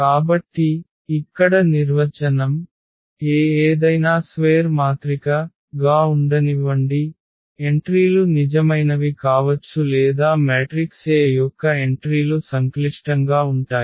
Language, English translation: Telugu, So, the definition the mathematical formal definition here: let A be any square matrix, the entries can be real or the entries of the matrix A can be complex